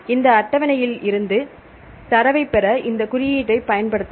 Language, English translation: Tamil, You can use these index to fetch the data from this table right